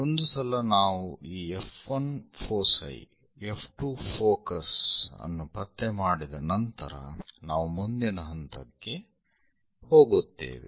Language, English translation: Kannada, So, once we locate this F 1 foci, F 2 focus, then we will go with the next step